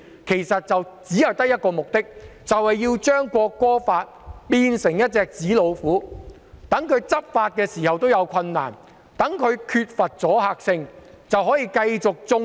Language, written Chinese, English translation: Cantonese, 其實他們只有一個目的，就是要把《條例草案》變成紙老虎，令當局難以執法，令《條例草案》缺乏阻嚇性。, In fact there is only one purpose that is to turn the Bill into a paper tiger making it difficult for the authorities to enforce the law and rendering the Bill lacking in deterrent effect